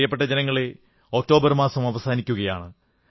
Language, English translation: Malayalam, My dear countrymen, October is about to end